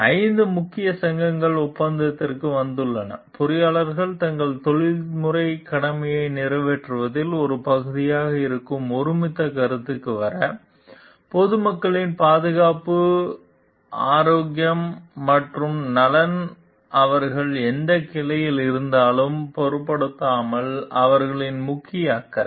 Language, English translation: Tamil, Like the 5 main societies have come to the agreement, to come to the consensus that engineers have as a part of the fulfillment of their professional duty, the safety health and the welfare of the public is their major concern irrespective of whatever branch they are in whatever discipline they are in